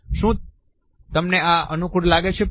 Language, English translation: Gujarati, Does this feel comfortable to you dear